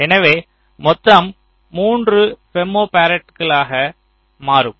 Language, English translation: Tamil, so this will also be three femto farad